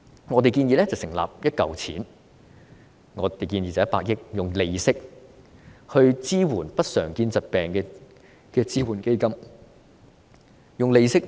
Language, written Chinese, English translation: Cantonese, 我們建議成立一項100億元的支援基金，用利息支援不常見疾病的醫療費用。, We proposed to set up a 10 billion support fund and make use of its interest to support the medical expenses associated with uncommon diseases